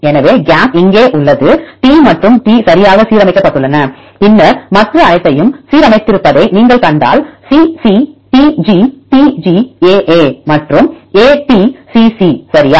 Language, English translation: Tamil, So, gap is here T and T are aligned right and then if you see all others are aligned CC TG TG AA and AT CC, right